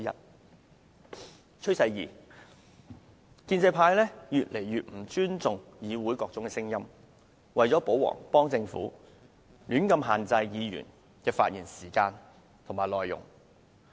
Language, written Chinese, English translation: Cantonese, 第二個趨勢，是建制派越來越不尊重議會內的各種聲音，為了"保皇"和幫助政府，胡亂限制議員的發言時間和內容。, The second trend is Members of the pro - establishment camp are showing less and less respect for the different voices in this Council who would indiscriminately seek to restrain Members speaking time and speech content in a bid to protect the ruler and help the Government